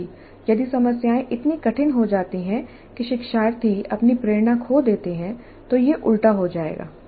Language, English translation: Hindi, At the same time if the problems become so difficult that learners lose their motivation then it will become counterproductive